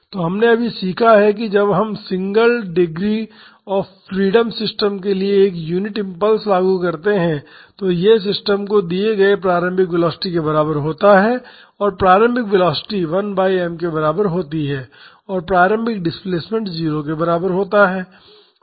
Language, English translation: Hindi, So, we just learned that when we apply a unit impulse to the single degree of freedom system, it is equivalent to an initial velocity given to the system and that initial velocity is equal to 1 by n, and that initial displacement is equal to 0